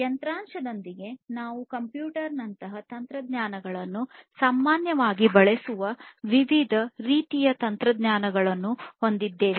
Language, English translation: Kannada, So, within hardware we have different types of technologies that are used commonly technologies such as computer